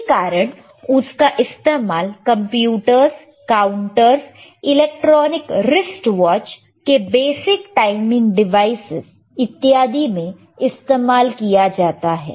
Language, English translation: Hindi, hHence it is used in computers, counters, basic timing devices, in electronic wrist watches in electronics wrist watches ok etc